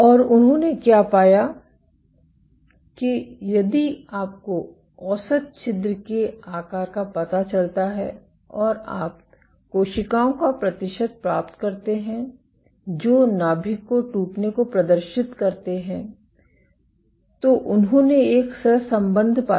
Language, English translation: Hindi, And what they found; if you find out the average pore size and you find the percentage of cells which exhibit nuclear rupture, they found a correlation ok